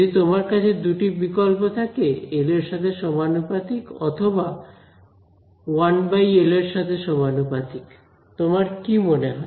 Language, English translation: Bengali, If you have two choices proportional to L proportional to 1 by L what would you think